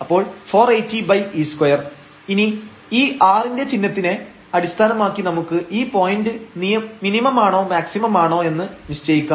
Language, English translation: Malayalam, So, 480 over e square and now based on this sign of r, we can decide whether this is a point of maximum or minimum